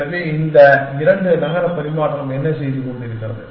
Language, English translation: Tamil, So, what is this two city exchange is doing